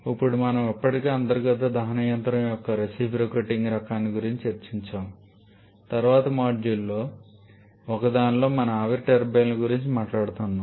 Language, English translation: Telugu, Now we have already discussed about the reciprocating kind of internal combustion engine we shall be talking about the steam turbines later on in one of the later modules